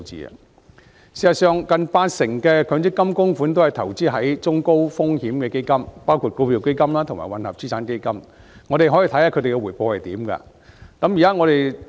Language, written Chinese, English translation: Cantonese, 事實上，近八成強積金供款均投資於中高風險的基金，包括股票基金及混合資產基金，我們可以看看它們的回報如何。, In fact nearly 80 % of the MPF contributions are invested in medium - and high - risk funds including equity funds and hybrid funds . We can look at their return performances